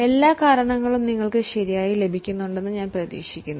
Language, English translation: Malayalam, I hope you are getting all the causes correct